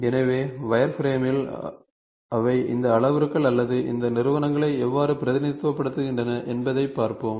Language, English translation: Tamil, So, in wireframe we will see how do they represent these to these parameters or these entities, drawing entities